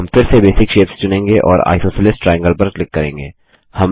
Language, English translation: Hindi, We shall select Basic shapes again and click on Isosceles triangle